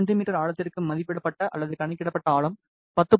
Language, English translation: Tamil, However for 3 cm depth the estimated or calculated depth was 10